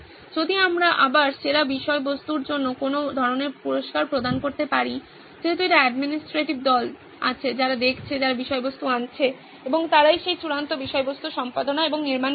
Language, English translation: Bengali, If we can provide some kind of a reward system to the best content that is again, since there is an administrative team who is looking at, who is bringing in the content and they are the ones who are editing and building that final content